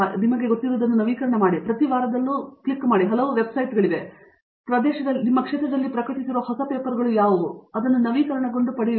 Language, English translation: Kannada, You know, there are many websites where you can click it every week, you get updates what are the papers published on that area